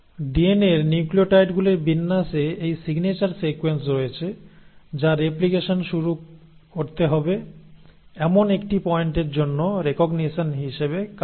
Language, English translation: Bengali, Now DNA has these signature sequences on its arrangement of nucleotides, which act as recognition for a point where the replication has to start